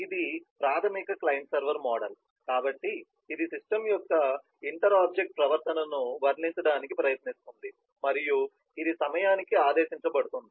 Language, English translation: Telugu, and this is the basic client server model, so it tries to depict the inter object behaviour of the system and it is ordered by time